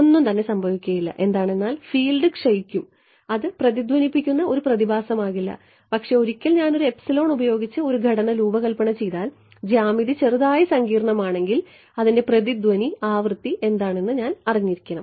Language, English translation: Malayalam, Nothing will happen right the fields will not decay I mean the field will not decay I mean the field will decay off it will not be a resonate phenomena, but once I designed a structure with some epsilon if the and if the geometry slightly complicated I would know what the resonate frequency is